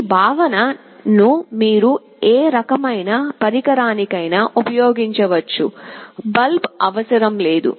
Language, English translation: Telugu, This concept you can use for any kind of device, not necessary a bulb